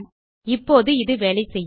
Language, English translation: Tamil, Now this should work